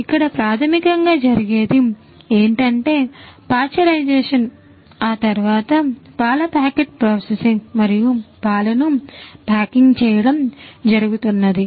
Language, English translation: Telugu, So, basically what happens is lot of pasteurisation then processing of the milk packets and so, on packeting of the milk and so, on that is what happens